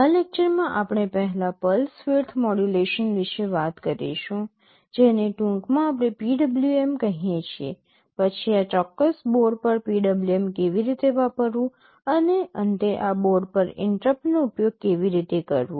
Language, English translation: Gujarati, In this lecture we shall be first talking about pulse width modulation which in short we call PWM, then how to use PWM on this specific board, and lastly how to use interrupts on this board